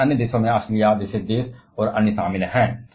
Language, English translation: Hindi, In this others this involves about countries like Australia and others